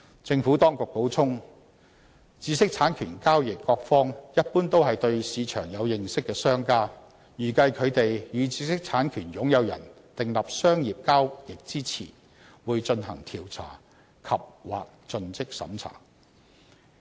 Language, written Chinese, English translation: Cantonese, 政府當局補充，知識產權交易各方一般都是對市場有所認識的商家，預計他們與知識產權擁有人訂立商業交易前，會進行調查及/或盡職審查。, The Administration added that parties to IP transactions are generally business players who have knowledge of the market and they can be expected to conduct investigation andor due diligence process before entering into commercial transactions with the owner of an IPR